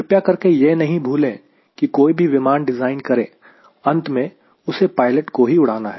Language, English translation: Hindi, please do not forget: whatever airplane to design, finally the pilot will be flying